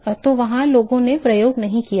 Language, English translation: Hindi, So, there is people have not done experiments